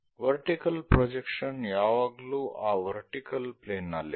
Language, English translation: Kannada, The vertical projection always be on that vertical plane